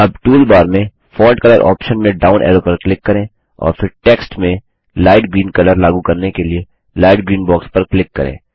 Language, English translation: Hindi, So again select the text EDUCATION DETAILS Now click on the down arrow in the Font Color option in the toolbar and then click on the light green box for applying the Light green colour to the the text